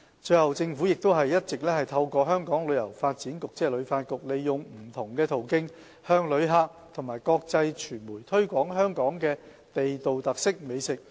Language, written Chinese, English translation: Cantonese, 最後，政府亦一直透過香港旅遊發展局，利用不同途徑向旅客及國際傳媒推廣香港的地道特色美食。, The Government has been promoting through the Hong Kong Tourism Board HKTB local delicacies to visitors and international media via various channels